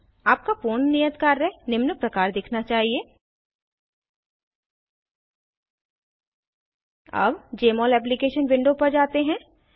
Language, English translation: Hindi, Your completed assignment should look as follows Now lets go back to the Jmol Application window